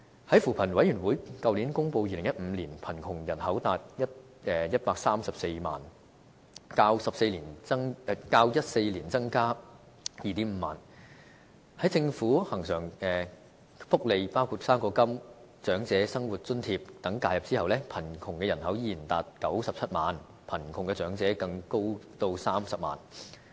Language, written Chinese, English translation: Cantonese, 在扶貧委員會去年公布2015年貧窮人口達134萬，較2014年增加 25,000 人，在政府恆常福利，包括"生果金"、長者生活津貼等介入後，貧窮的人口依然達97萬，貧窮的長者更高達30萬人。, The poverty population in 2015 published by the Commission on Poverty last year was 1.34 million increasing by 25 000 as compared with the number in 2014 . After policy intervention in terms of recurrent benefits from the Government such as fruit grant and the Old Age Living Allowance poverty population still stood at 970 000 and among them 300 000 were elderly persons